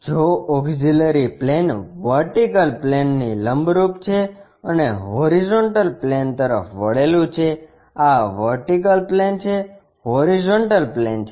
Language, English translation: Gujarati, If the auxiliary plane is perpendicular to vertical plane and inclined to horizontal plane; this is the vertical plane, horizontal plane